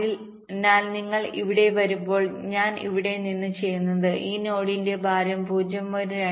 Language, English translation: Malayalam, from here, when you come here, we see that the, the weight of this node is point two